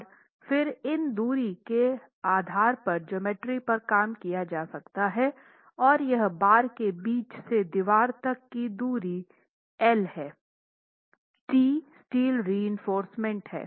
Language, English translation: Hindi, And then all the geometry can be worked out based on these distances from the center line of the bar to the edge of the wall, L, T, and the areas of the steel reinforcement